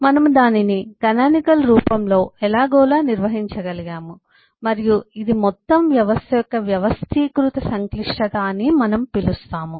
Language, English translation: Telugu, we have been able to somehow organize it under the canonical form and that is the reason we call this an organized complexity of the whole system